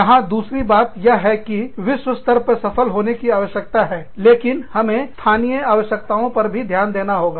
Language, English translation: Hindi, The second point here is, that we need to compete globally, but also take care of our local needs